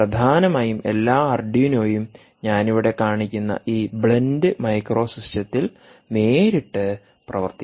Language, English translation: Malayalam, duno arduino code will directly work on this blend micro system, ah, this one that i show here